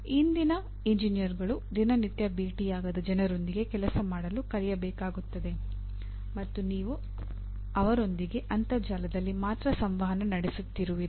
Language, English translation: Kannada, The present day engineers will have to learn to work with people who are not on day to day basis you are not meeting across the table and you are only interacting over the internet